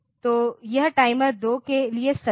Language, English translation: Hindi, So, that is true for timer 2